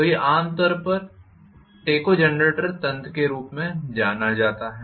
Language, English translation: Hindi, So this is generally known as tachogenerator mechanism